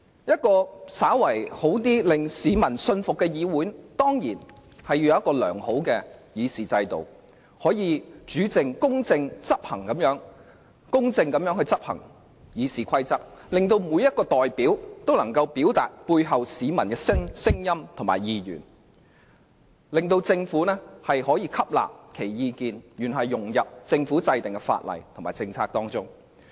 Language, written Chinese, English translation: Cantonese, 一個較好、令市民信服的議會，必須有良好的議事制度，確保《議事規則》得以公正地執行，每位議員都能夠表達其代表的市民的聲音和意願，從而讓政府吸納其意見，融入法例和政策中。, A good legislative assembly that is accepted by the public must have a good system to ensure that rules of procedures are fairly enforced so that each Member can express the views and aspirations of members of the public whom they represent . The Government will then take on board such views when formulating laws and policies